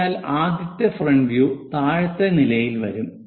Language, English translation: Malayalam, So, the front view comes at this level